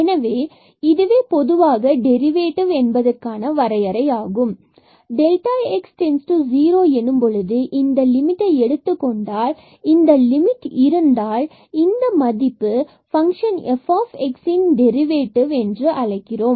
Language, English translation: Tamil, So, that limit here when we take the limit delta x goes to 0, if this limit exists we call that this value is the derivative of the function f x